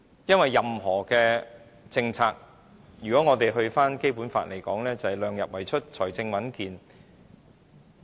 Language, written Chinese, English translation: Cantonese, 因為任何政策，如果引用《基本法》的意思，就是"量入為出，財政穩健"。, It is because any local policies have to adhere to the principles of keeping the expenditure within the limits of revenues and fiscal stability enshrined in the Basic Law